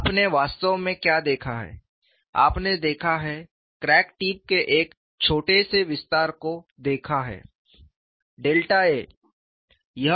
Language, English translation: Hindi, What you have actually looked at is you have looked at a small extension of crack tip delta a instead of